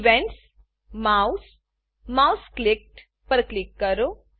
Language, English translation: Gujarati, Click on Events Mouse mouseClicked